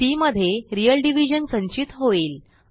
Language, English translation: Marathi, c now holds the value of real division